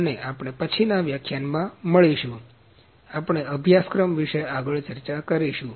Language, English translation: Gujarati, And we will meet in the next lecture; we will discuss further about the course